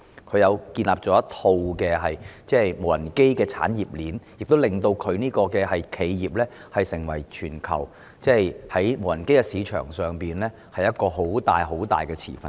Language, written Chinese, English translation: Cantonese, 他建立了一套無人機產業鏈，令其企業成為全球無人機市場上巨大的持份者。, He built an industry chain of drones making his enterprise a sizable stakeholder of the global market of drones